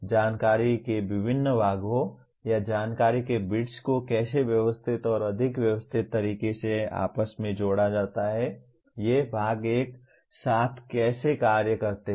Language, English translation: Hindi, How the different parts or bits of information are interconnected and interrelated in a more systematic manner, how these parts function together